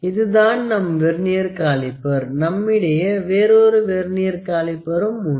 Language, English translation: Tamil, So, this is our Vernier calipers, we also have another Vernier caliper